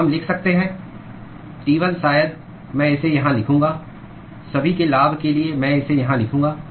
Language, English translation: Hindi, So, we can write: T1 maybe I will write it here for the benefit of everyone I will write it here